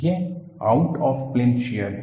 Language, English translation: Hindi, It is out of plane shear